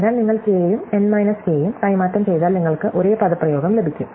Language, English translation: Malayalam, So, if you just exchange k and n k you get the same expression